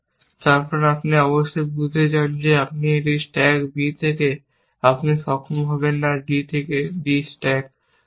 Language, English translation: Bengali, Then, you want to certainly, realize that if you stack a on to b, you would not be able stack b on to d